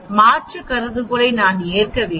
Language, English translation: Tamil, That means we accept the alternative hypothesis